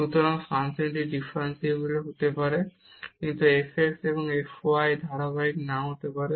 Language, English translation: Bengali, So, the function may be differentiable, but the f x and f y may not be continuous